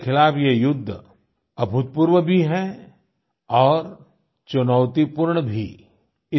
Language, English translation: Hindi, Friends, this battle against corona is unprecedented as well as challenging